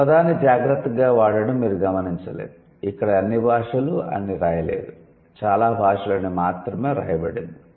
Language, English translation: Telugu, It's not, notice the use of the word carefully, it's not written all languages, it's written most languages